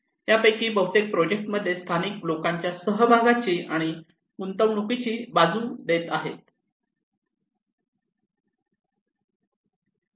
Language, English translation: Marathi, Most of these projects are advocating the incorporations and involvement of the local people into the projects